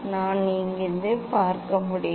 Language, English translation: Tamil, I can see from here